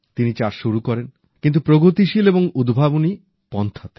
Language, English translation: Bengali, He started farming, albeit using new methods and innovative techniques